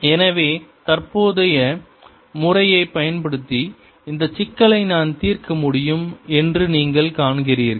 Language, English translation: Tamil, so you see, i could have solved this problem using the current method